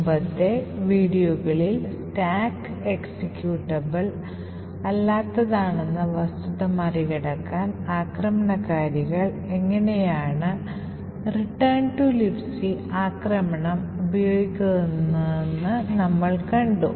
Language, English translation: Malayalam, In one of the previous videos we see how attackers use the return to libc attack to overcome the fact that this stack was made non executable